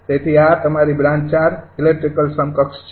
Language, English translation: Gujarati, so this is your branch four electrical equivalent